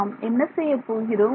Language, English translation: Tamil, what will we do now